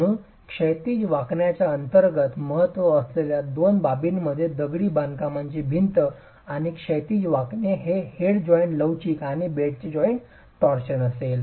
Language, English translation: Marathi, So, under horizontal bending, the two aspects of importance as far as the strength of the masonry wall under horizontal bending would be the head joint flexia and the bed joint torsion